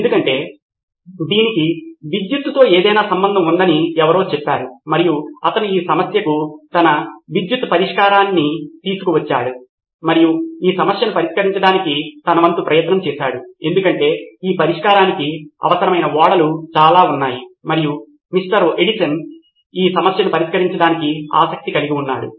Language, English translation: Telugu, Because somebody said while it has something to do with electricity and he brought his electric solution to this problem and tried his best to solve this problem because there were lot of ships that needed this fix and so Mr